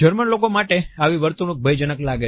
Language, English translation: Gujarati, The Germans find such behaviors alarming